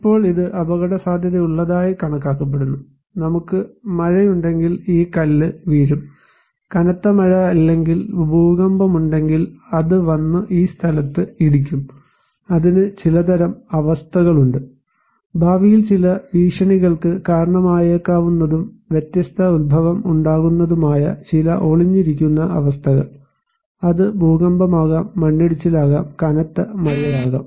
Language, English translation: Malayalam, Now, this one is considered to be risky and with this stone can fall, if we have rainfall; heavy rainfall or if we have earthquake, then it will come and hit this place so, it has some kind of conditions; some latent conditions that may trigger some threat in future and can have different origin, it could be earthquake, it could be a landslides, it could be heavy rainfall